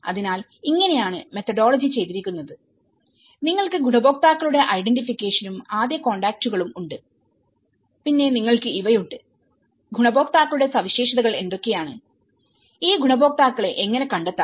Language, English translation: Malayalam, So, this is how the methodology has been done, you have the identification of the beneficiaries and the first contacts, then you have these, what is characteristics of the beneficiaries, you know how do one figure out these beneficiaries